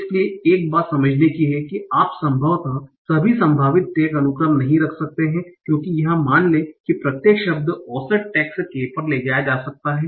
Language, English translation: Hindi, So one thing to understand is that you can probably not keep all the possible tax sequences because assume that each word can take on an average K tax